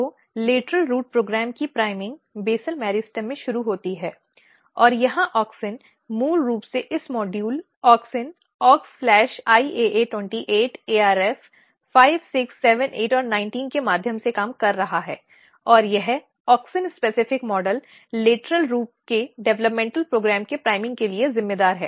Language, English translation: Hindi, So, the priming of lateral root program initiates in the in the basal meristem and here auxin basically is working through this module auxin Aux/IAA 28 ARF 5, 6, 7, 8 and 19 and this auxin specific model is responsible for priming the developmental program for lateral root